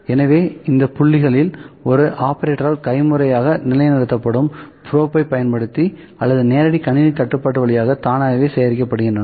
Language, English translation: Tamil, So, these points are collected by using the probe that is position manually by an operator or automatically via Direct Computer Control